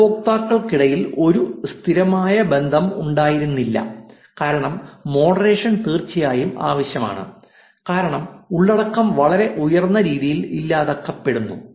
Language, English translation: Malayalam, There was not a persistent relationship between the users, moderation is of course necessary because content is getting deleted very highly